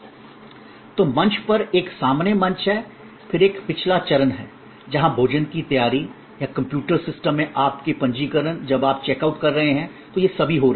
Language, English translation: Hindi, So, there is a front stage, on stage and then there is a back stage, where preparation of the food or your registration in the computer system or your billing when you are checking out, all of these are happening